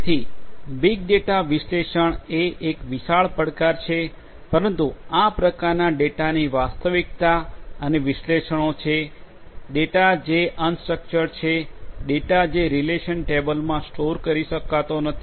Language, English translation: Gujarati, So, big data analytics is a huge challenge, but is a reality and analytics of these types of data, data which are unstructured, not data which cannot be stored in relational tables